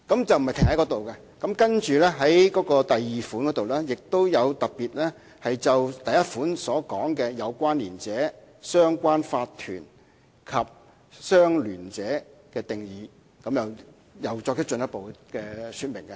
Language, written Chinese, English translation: Cantonese, 此外，有關內容並非停在這裏，在第2款中亦特別就第1款提到的有關連者、相聯法團及相聯者的定義再作進一步的說明。, It should also be noted that the elaboration does not end here and further explanation is specifically given in subsection 2 of the same section for the definitions of connected person associated corporation and associate in subsection 1